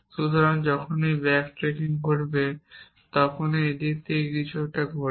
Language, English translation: Bengali, So, whenever back tracking happens it happens in these same directions